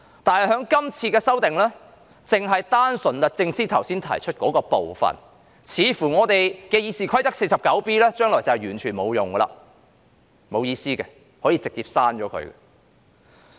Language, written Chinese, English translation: Cantonese, 但是，由於《條例草案》賦權律政司司長提起訴訟，所以看來《議事規則》第 49B 條將來毫無意義，可以直接刪除。, However as the Bill has empowered SJ to bring proceedings it seems that Rule 49B of the Rules of Procedure will be rendered meaningless in the future and can be deleted straightaway